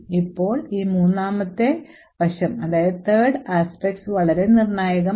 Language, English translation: Malayalam, Now this third aspect is very critical